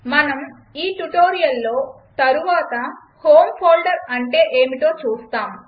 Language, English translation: Telugu, We will see later in this tutorial what the home folder is